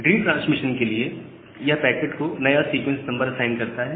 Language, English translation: Hindi, Even for a retransmission, it assigns a new sequence number to the packet